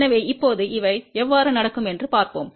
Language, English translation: Tamil, So now, let us see how these things happen